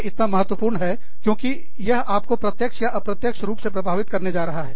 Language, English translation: Hindi, Because, it is going to affect you, directly or indirectly